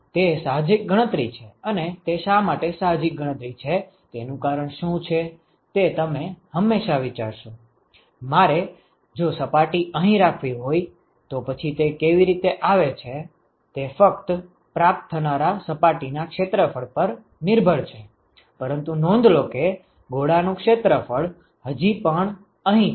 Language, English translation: Gujarati, It is counter intuitive and the reason why it is counter intuitive is that you would always think that, ahha, if I have to if I have to place the surface here, then how come that it depends only on the surface area of the receiving surface, but note that the area of the sphere is still here